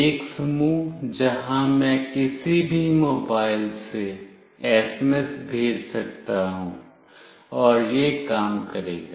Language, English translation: Hindi, One set where I can send SMS from any mobile, and it will work